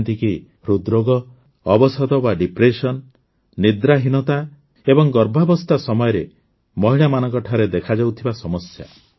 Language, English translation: Odia, Like Heart Disease, Depression, Sleep Disorder and problems faced by women during pregnancy